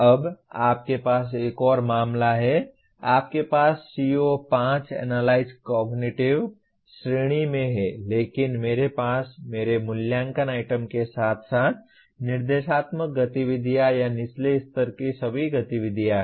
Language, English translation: Hindi, Now you have another case, you have CO5 is in analyze conceptual category but I have my assessment items as well as instructional activities or all at the lower level activities